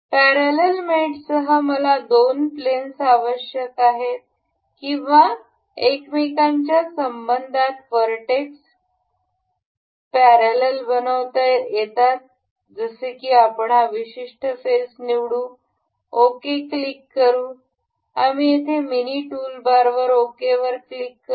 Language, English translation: Marathi, With parallel mate I need two planes or vertex can be made parallel in relation to each other such as we will select this particular face and say this particular face and we will click we can click ok in the mini toolbar here as well